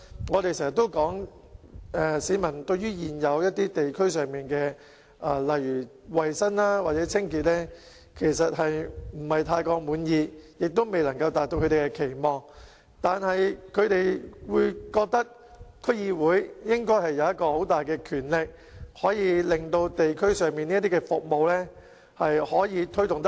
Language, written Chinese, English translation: Cantonese, 我們經常說市民對於現時地區上例如衞生或清潔等情況不太滿意，有關服務也未能達到他們的期望，但他們認為區議會應該擁有很大的權力，可以令地區上的服務推動得較好。, As we have always said the public are not at all satisfied with the current situation of say hygiene or cleanliness in the community and the relevant services have failed to meet their expectation but the public think that DCs should have great powers to promote improvement of these services in the community